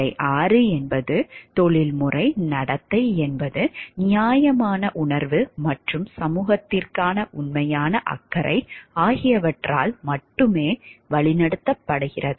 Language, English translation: Tamil, Stage 6 is professional conduct is guided solely by a sense of fairness and genuine concern for the society